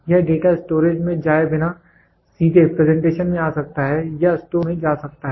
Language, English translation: Hindi, It without going to the data storage it can directly come to the presentation or it can go to store